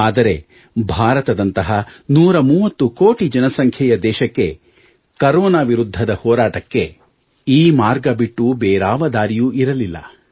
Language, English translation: Kannada, But in order to battle Corona in a country of 130 crore people such as India, there was no other option